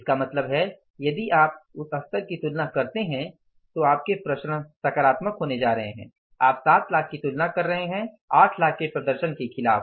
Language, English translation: Hindi, It means if you compare that level certainly your variances are going to be positive that you are comparing the cost for 7 lakhs against the performance of 8 lakhs